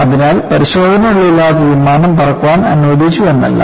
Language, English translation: Malayalam, So, it is not that without test the aircraft was allowed to fly